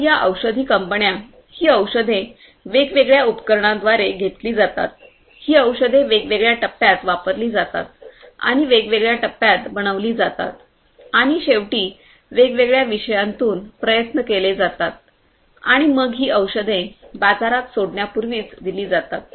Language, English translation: Marathi, They take these different drugs through different equipments, these drugs are tried out in different phases you know they are manufactured in different phases and finally, tried out in through different subjects and so on before these drugs are released in the market